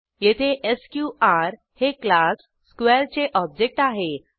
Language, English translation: Marathi, Here, sqr is the object of class square